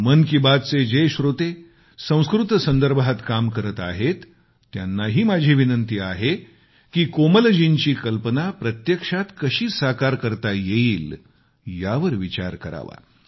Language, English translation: Marathi, I shall also request listeners of Mann Ki Baat who are engaged in the field of Sanskrit, to ponder over ways & means to take Komalji's suggestion forward